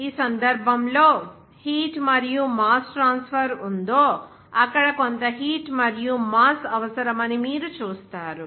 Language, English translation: Telugu, In this case, you will see some amount of heat and mass is required in that case involved, that appreciable heat and mass transfer there